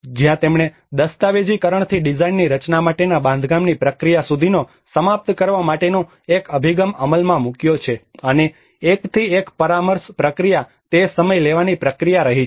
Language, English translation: Gujarati, Where he have implemented a bottom up approach of completion from the documentation to the design to the erection process and the one to one consultation process has been its a time taking process